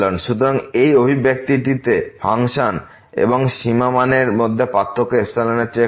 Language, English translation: Bengali, So, this expression the difference between the function and the limiting value is less than epsilon